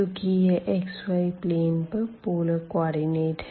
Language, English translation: Hindi, So, x the relation again since it is the polar coordinate in this xy plane